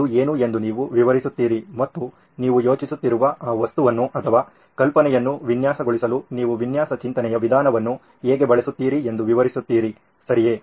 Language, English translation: Kannada, You describe what that is and you describe how you would use a design thinking approach to design that object or idea that you are thinking about, right